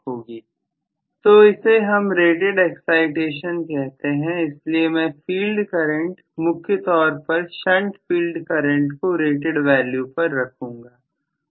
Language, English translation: Hindi, So, only that is known as the rated excitation, so I am going to keep the field current, shunt field current especially at rated value